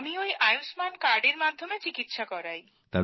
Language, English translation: Bengali, I have got the treatment done with the Ayushman card